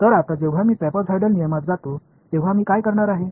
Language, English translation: Marathi, So now, when I go to trapezoidal rule what am I going to do